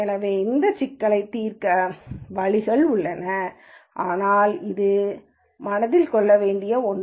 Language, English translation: Tamil, So, there are ways of solving this problem, but that is something to keep in mind